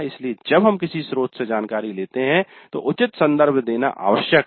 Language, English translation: Hindi, So when we pick up the information from some source, it is necessary to give proper reference